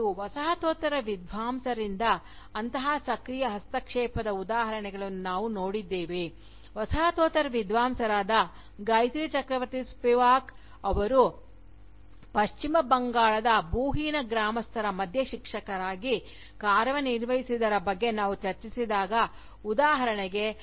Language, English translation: Kannada, And, we have seen examples of such active intervention, by Postcolonial scholars, when we discussed, Gayatri Chakravorty Spivak's work as a teacher, among the landless villagers of West Bengal, for instance